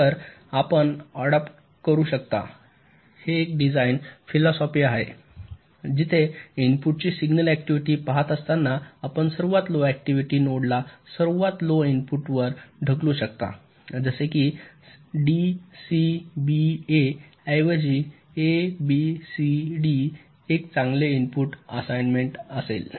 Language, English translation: Marathi, so this is one design philosophy you can adopt where, looking at the signal activity of the input, you can push the highest activity node to the lowest input, like here: a, b, c, d will be a better input assignment rather than d, c, b, a